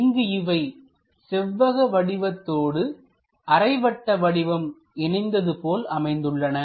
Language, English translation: Tamil, So, there is a rectangular portion connected by this semicircle portion